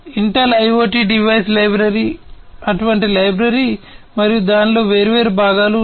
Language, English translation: Telugu, Intel IoT device library is one such library and there are different components in it